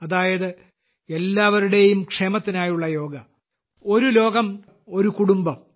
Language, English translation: Malayalam, Yoga for the welfare of all in the form of 'One WorldOne Family'